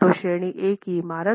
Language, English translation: Hindi, So, category A building